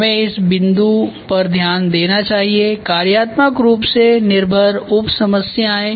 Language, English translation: Hindi, We should note down this point functionally dependent sub problems ok